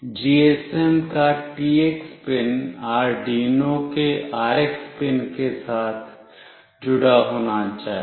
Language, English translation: Hindi, The TX pin of the GSM must be connected with the RX pin of the Arduino